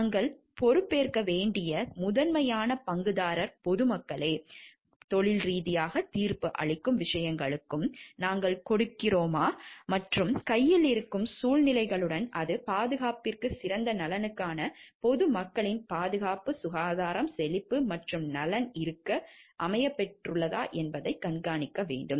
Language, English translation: Tamil, And the primary stakeholder that we are responsible to is to the public at large and whether the things that professional judgment, and that we are giving and with situations which are there at hand, and it has to be in the best interest of the safety, security, health prosperity and welfare of the public at large